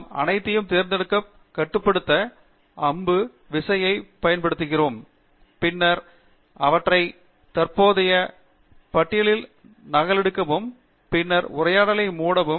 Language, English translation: Tamil, We use Control + Arrow key to select all of them, and then copy them to the current list, and then close the dialog